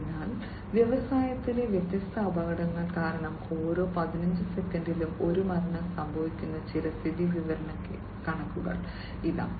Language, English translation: Malayalam, So, here is some statistic one death occurs every 15 seconds due to different accidents in the industry